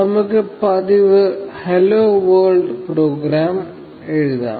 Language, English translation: Malayalam, So, let us write the customary hello world program